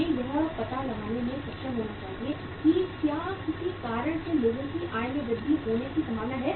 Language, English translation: Hindi, We should be able to find out that is there any possibility that the income of the people is going to increase because of any reason